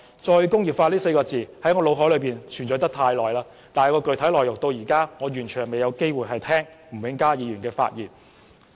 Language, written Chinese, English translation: Cantonese, "再工業化"這4個字在我腦海裏存在了很久，但具體內容到現在仍未有機會聽到吳永嘉議員發言。, The word re - industrialization has lingered in my mind for a long time but we still do not have the opportunity to hear from Mr Jimmy NG the specific contents